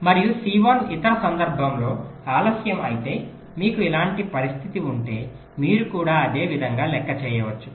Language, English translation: Telugu, and if c one is delayed in the other case so you have a similar kind of situation you can similarly make a calculations, ok